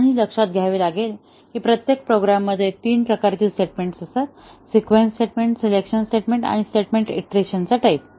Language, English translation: Marathi, And, that is based on realizing that every program consists of three types of statements; the sequence, the selection and the iteration type of statements